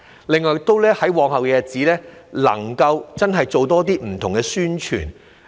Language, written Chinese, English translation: Cantonese, 另外，在往後的日子，能夠真的做更多不同的宣傳。, Moreover in the days to come I hope it will genuinely make more efforts to do different publicity work